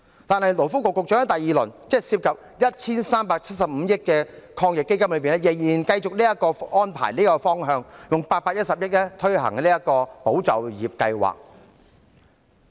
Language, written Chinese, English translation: Cantonese, 但是，勞工及福利局局長在推出第二輪，即涉及 1,375 億元的防疫抗疫基金時，仍然繼續採用這個安排和方向，動用810億元推行"保就業"計劃。, However when rolling out the second round of AEF involving 137.5 billion the Secretary for Labour and Welfare continued to adopt this arrangement and direction utilizing 81 billion to launch the Employment Support Scheme ESS